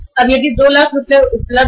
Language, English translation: Hindi, 5 lakh rupees now